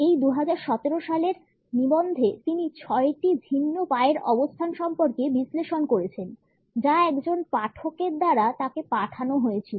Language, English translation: Bengali, In this 2017 article she has analyzed six different leg positions which were sent to her by a reader